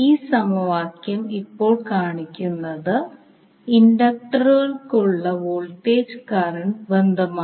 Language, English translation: Malayalam, So this particular equation now tells the voltage current relationship for the inductors